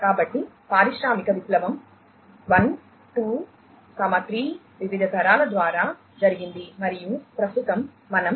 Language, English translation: Telugu, So, industrial revolution has happened through different generations of 1, 2, 3, and at present we are talking about 4